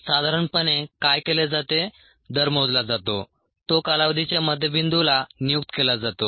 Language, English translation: Marathi, so what is normally done is the rate that is calculated is assigned to the mid point of the interval